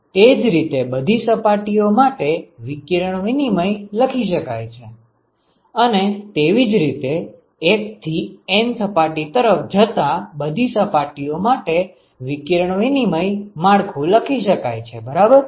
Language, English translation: Gujarati, So, one could similarly write the radiation exchange for all the other surfaces right, one could similarly write radiation exchange network for all the other surfaces going from 1 to N